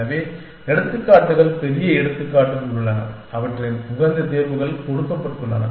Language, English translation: Tamil, So, there are examples big examples, which their optimal solutions given